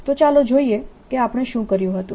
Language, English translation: Gujarati, so let's see what we did